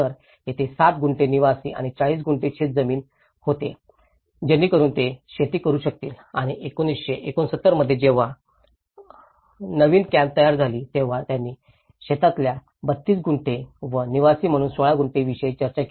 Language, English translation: Marathi, So, there were 6 Gunthas of residential and 40 Gunthas of farmland so that they can do the farming and whereas, in 1969 when the new camps have been formed, so where they talked about 32 Gunthas in a farmland and the 16 Gunthas as a residential land